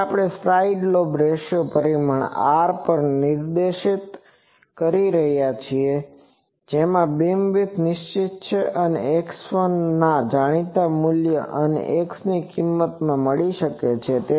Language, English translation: Gujarati, So, we can also specify the side lobe ratio parameter R in which case the beam width is fixed and can be found from the known value of x 1 and the value of x